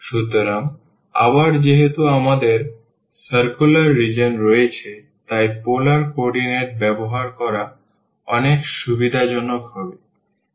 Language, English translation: Bengali, So, again since we have the circular region it would be much convenient to use the polar coordinate